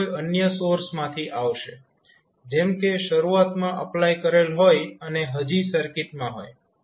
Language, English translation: Gujarati, It will come from some other source like initially applied and now is continuing